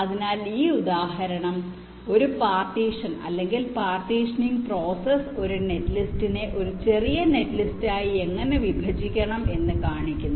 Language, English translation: Malayalam, so this example shows roughly how a partition or the partitioning process should split a netlist into a smaller netlist